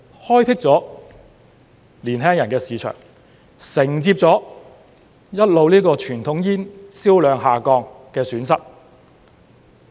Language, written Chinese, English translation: Cantonese, 開闢了年輕人的市場，承接了傳統煙銷量一直下降的損失。, They will open up the young peoples market which has made up for the loss incurred by the continuous decline in sales of conventional cigarettes